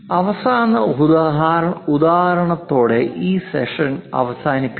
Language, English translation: Malayalam, Let us close this a session with last example